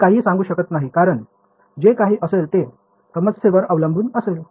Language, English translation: Marathi, Its we cannot say anything right it will be whatever it will depend on the problem right